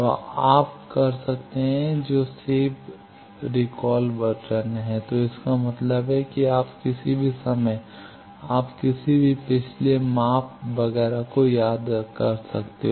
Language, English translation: Hindi, So, you can which is the save recall button so that means, any time you can recall any previous measurement etcetera